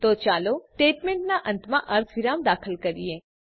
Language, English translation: Gujarati, So, let us insert semicolon at the end of the statement